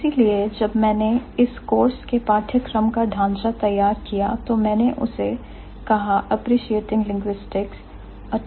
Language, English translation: Hindi, So, that is why when I framed the syllabus or the course contained, I said appreciating linguistics or typological approach